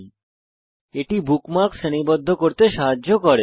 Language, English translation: Bengali, * Tags help us categorize bookmarks